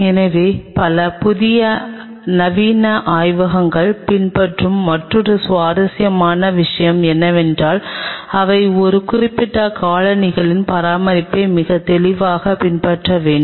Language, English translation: Tamil, So, another interesting thing which many new modern labs do follow is or rather should be very clearly followed that they maintain a specific set of footwears